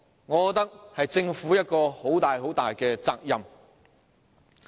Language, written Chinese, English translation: Cantonese, 我覺得這是政府要負上的一大責任。, I consider that the Government has the greater share of responsibility for this